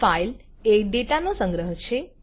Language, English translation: Gujarati, File is a collection of data